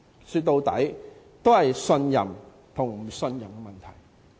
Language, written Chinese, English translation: Cantonese, 說到底，是信任和不信任的問題。, At the end of the day it is a matter of trust or distrust